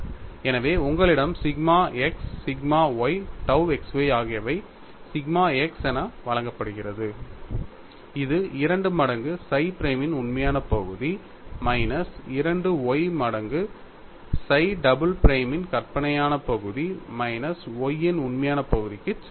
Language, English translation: Tamil, So, you have sigma x sigma y tau xy which is given as sigma x equal to 2 times real part of psi prime minus 2y times imaginary part of psi double prime minus real part of Y